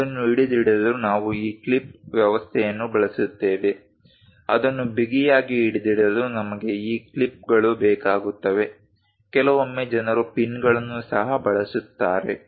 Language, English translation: Kannada, To hold it, we use this clip arrangement ; to hold it tightly, we require these clips, sometimes people use pins also